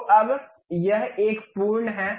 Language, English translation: Hindi, So, now, it is a complete one